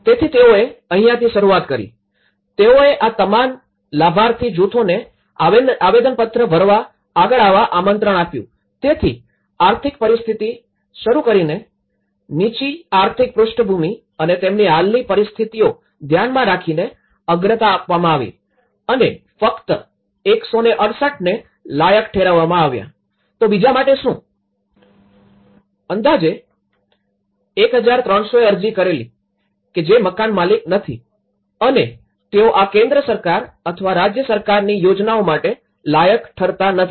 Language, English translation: Gujarati, So that is where they started with them, they invited all these beneficiary groups to come forward to fill the application forms so, starting from the economic; the lower economic background and their existing situations and that is how the priority has been given and that’s the identified, only 168, so what about the others, out of 1300 odd have applied and who are non owners and these, they are not complied with these central government or the state government schemes